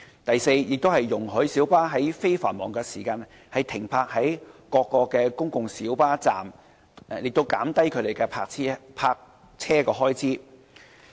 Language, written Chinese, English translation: Cantonese, 第四，運輸署容許小巴在非繁忙時間停泊在各公共小巴站，以減低其泊車開支。, Fourthly TD allows minibuses to park at all PLB stands during non - peak periods to reduce parking expenses